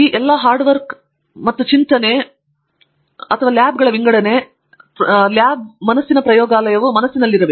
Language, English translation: Kannada, Sort of all this hard work and all these thought and all these labs, lab mind laboratory being mind